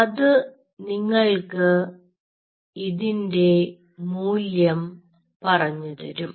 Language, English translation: Malayalam, now, that stuff will tell you this value